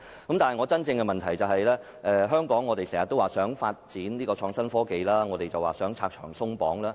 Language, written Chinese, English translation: Cantonese, 我的補充質詢是，我們經常說如果香港要發展創新科技，便要拆牆鬆綁。, Here is my supplementary question . We often say that we must lift all restrictions if we truly want to develop innovation and technology in Hong Kong